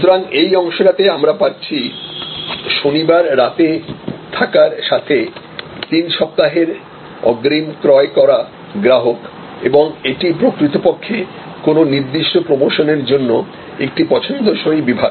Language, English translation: Bengali, So, here we have three weeks advance purchase with Saturday night stay over and this is actually a preferred segment for a particular promotion period